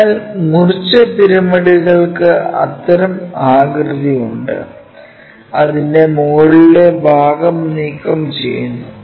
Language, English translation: Malayalam, So, truncated pyramids have such kind of shape where the top portion is removed